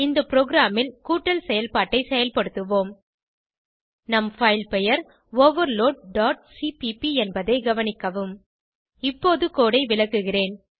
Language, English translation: Tamil, In this program we will perform addition operations Note that our file name is overload.cpp Let me explain the code now